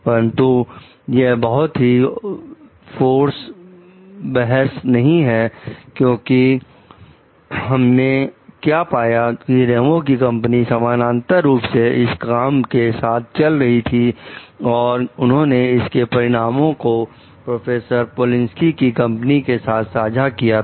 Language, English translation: Hindi, But that will not be a very substantial argument because what we find that Ramos s company we are doing parallel work regarding this thing and they were, like shared this result with the professor say Polinski s company